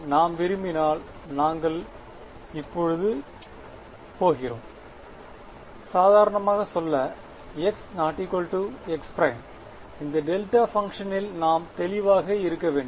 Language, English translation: Tamil, And if we want we are going to for now just say x not equal to x prime just so that we stay clear of this delta function